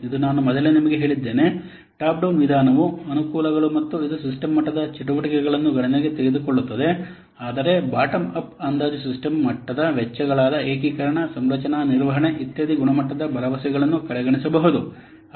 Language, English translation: Kannada, This I have already told you earlier, the advantages of top down approach that it takes into account the system level activities but bottom of estimation may overlook many of the system level costs as integration, conclusion management, etc